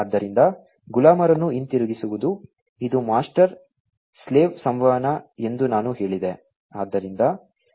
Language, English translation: Kannada, So, going back the slaves so, I said that it is master slave communication